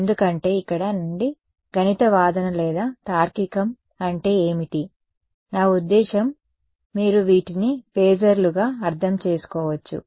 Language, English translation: Telugu, Because I mean what is the mathematical argument or reasoning from here; I mean you can interpret these as phasors